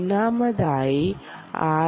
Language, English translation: Malayalam, firstly, the ah